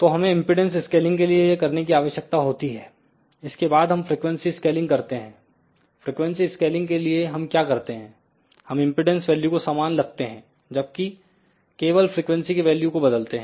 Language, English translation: Hindi, Then we do frequency scaling in case of frequency scaling what we do we keep the impedance value same, but we only change the frequency